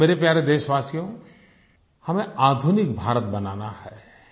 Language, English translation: Hindi, My dear Countrymen, we have to build a modern India